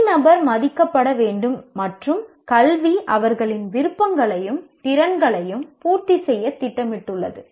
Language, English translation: Tamil, Individual must be respected and education plan to cater to her inclinations and capacities